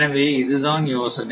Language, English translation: Tamil, So, this is the this is the idea